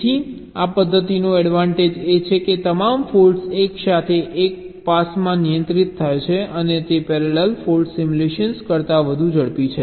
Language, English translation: Gujarati, so the advantage of this method is that all faults are handled together in a single pass and therefore it is faster than parallel fault simulation